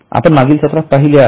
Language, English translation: Marathi, We have seen it in the last session